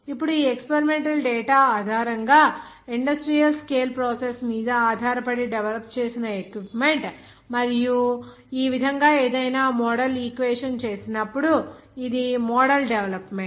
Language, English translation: Telugu, Now based on that industrial scale process equipment to be developed based on this experimental data and it's model development so in this way whenever making any model equation